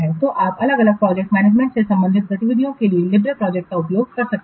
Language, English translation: Hindi, So, we can also use a library project for the different project management related activities